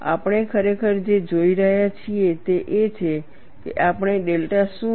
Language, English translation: Gujarati, What we are really looking at is, we have to estimate what is delta